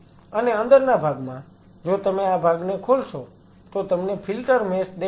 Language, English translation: Gujarati, And inside if you open this part you will see the filter mesh